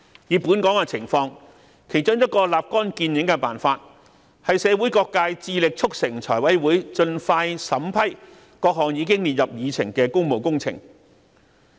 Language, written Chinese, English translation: Cantonese, 以香港情況而言，其中一個立竿見影的辦法，是由社會各界致力促成財委會盡快審批各項已列入議程的工務工程。, That is the way to tackle the problem at root . In the case of Hong Kong an instant fix is to engage all sectors in the community in urging the Finance Committee FC to approve expeditiously the public works projects that are already on the agenda